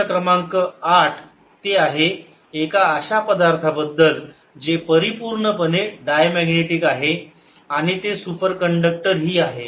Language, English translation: Marathi, question number eight: it concerns a material which is a perfect diamagnetic and that is a superconductor